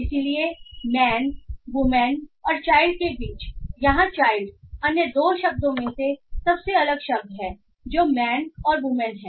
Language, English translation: Hindi, So here child is the most dissimilar word from the other two words that is man and woman